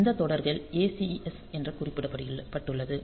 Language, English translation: Tamil, So, those series so the ACS have marked as ACS